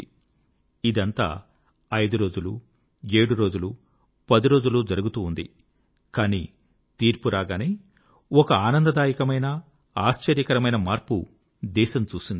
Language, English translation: Telugu, But this scenario had continued for five days, or seven days, or ten days, but, the delivery of the court's decision generated a pleasant and surprising change of mood in the country